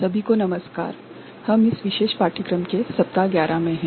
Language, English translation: Hindi, Hello everybody, we are in week 11 of this particular course